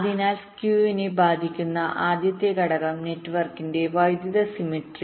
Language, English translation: Malayalam, so the first factor that affects the skew is the electrical symmetry of the network